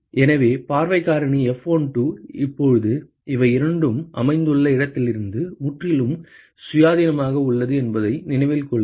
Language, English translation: Tamil, So, note that the view factor F12 is now completely independent of where these two are located